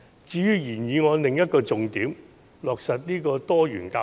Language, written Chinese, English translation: Cantonese, 至於原議案的另一個重點是落實多元教育。, Another focal point of the original motion is to implement diversified education which is undeniably justified